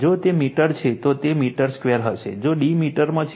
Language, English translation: Gujarati, If it is a meter, then it will be your meter square, if d is in meter